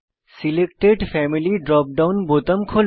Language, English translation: Bengali, Selected Family drop down button appears